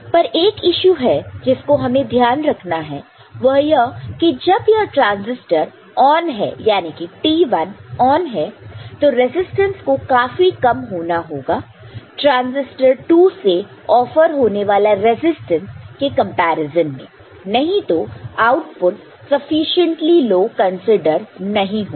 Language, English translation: Hindi, But, one issue that we here take note of here, is that when this transistor is on, T1 is on, the resistors must be sufficiently small compared to resistance 2, I mean which is resistance offered by the transistor 2; otherwise the output will not be considered sufficiently low, ok